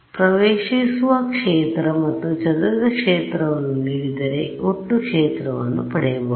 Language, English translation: Kannada, So, if I give you incident field and the scattered field from that you can get total field right